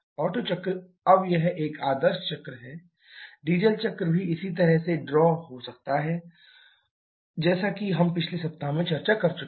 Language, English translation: Hindi, Now this is an ideal cycle, the Otto cycle similarly can also draw the Diesel cycle as we have already discussed in the previous week